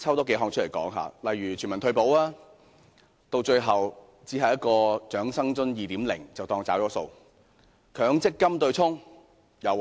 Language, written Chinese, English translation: Cantonese, 當中的全民退保，最後只有一項"長生津 2.0" 的安排，這樣便當作"找數"。, One of the undertakings is on universal retirement protection yet it is eventually substituted by the Old Age Living Allowance 2.0 arrangement which he regards as a fulfilment of his promise